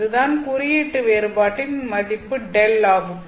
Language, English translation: Tamil, So, this is your index difference delta